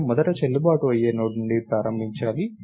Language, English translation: Telugu, I should start from the first valid Node which is this